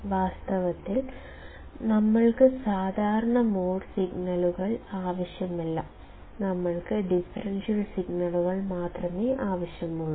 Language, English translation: Malayalam, In reality, we do not want common mode signals, we only want the differential signals